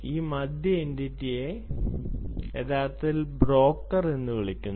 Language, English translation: Malayalam, this middle entity is actually called the broker